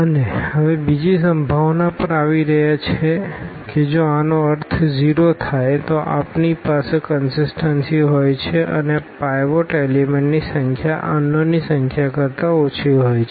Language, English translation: Gujarati, And, now coming to the another possibility that if this is 0 means we have the consistency and the number of pivot elements is less than the number of unknowns